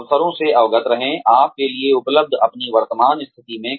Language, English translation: Hindi, Be aware of the opportunities, available to you, in your current position